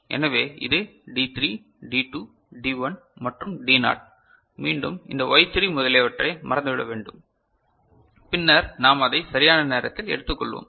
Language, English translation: Tamil, So, this is D3, D2, D1 and D naught for again forget about this Y3 etcetera which we shall take up later right